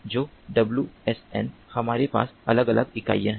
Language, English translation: Hindi, so, wsn, we have different units